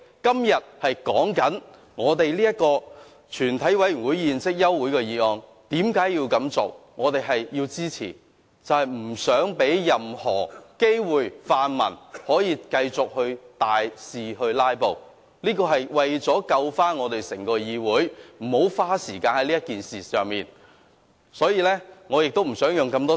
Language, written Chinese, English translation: Cantonese, 今天我們討論休會待續議案，為何要提出，我們要支持議案，是不想讓泛民有任何機會繼續大肆"拉布"，這是為了避免整個議會再花時間在這件事情上，我亦不想再多花時間。, Today we will concentrate on the adjournment motion and why it should be moved . We support the motion so as not to give the pan - democrats any chance to filibuster . Our purpose is to stop the entire Council from spending any more time on this issue; neither do I want to waste more time